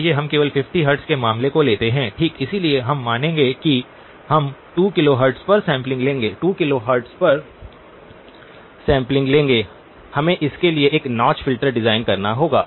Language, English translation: Hindi, Let us only take the case of the 50 hertz okay, so we will assume that we will sample at 2 kilohertz, sampling at 2 kilohertz, we would have to design a notch filter for this